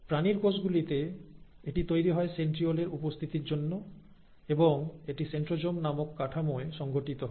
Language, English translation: Bengali, In animal cells, they are made, thanks to the presence of centrioles, and it is organized in a structure called centrosome